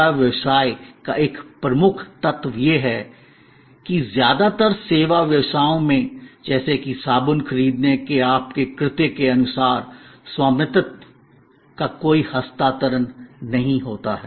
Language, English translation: Hindi, One key element of service business is that, in most service businesses as suppose to your act of buying a soap, there is no transfer of ownership